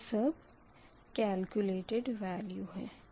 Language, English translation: Hindi, this is your all calculated